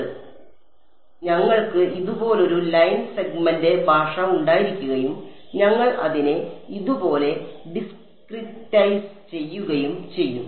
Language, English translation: Malayalam, So, that is exactly what will do we have a line segment language like this and we discretize it like this